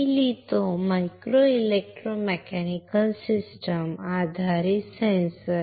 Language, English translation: Marathi, Let me write down, micro electro mechanical systems based sensor